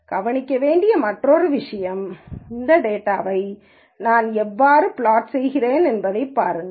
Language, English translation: Tamil, And the other important thing to notice, look at how I have been plotting this data